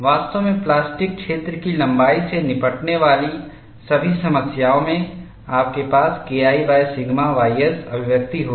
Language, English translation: Hindi, In fact, in all problems dealing with plastic zone length you will have an expression K 1 by sigma ys whole square